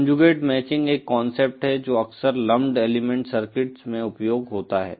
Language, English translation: Hindi, Conjugate matching is a concept that is frequently used in lumped element circuits